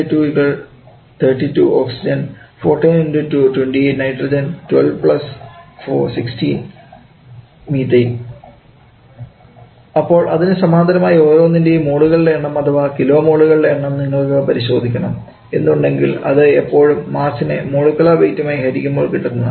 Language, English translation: Malayalam, What is the molecular weight for oxygen we can take it to the 16 into to 32 for nitrogen 14 into to 2 be 28 and for Methane 12 plus 4 that is 16 so correspondingly number of moles for each of them or maybe number of kilo moles if you want to check so it is always mass by molecular weight so it is 3 by 32 this number I have with me 6